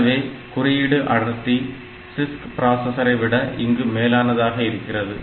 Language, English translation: Tamil, So, that way the code density will be better and it is better than many of the CISC processors